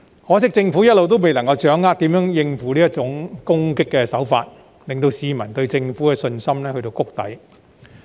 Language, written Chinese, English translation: Cantonese, 可惜政府一直未能掌握如何應付這種攻擊手法，令市民對政府的信心跌至谷底。, Unfortunately the Government has all along failed to respond to these attacks thus causing peoples confidence in the Government to nose dive